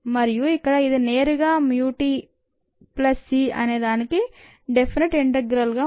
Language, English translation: Telugu, and here it is straight forward: mu t plus c in diffeneted integral